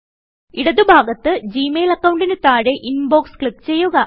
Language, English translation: Malayalam, From the left panel, under your Gmail account ID, click Inbox